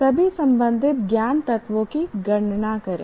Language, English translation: Hindi, Inumerate all the relevant knowledge elements